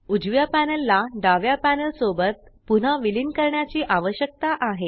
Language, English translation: Marathi, The right panel needs to be merged back into the left one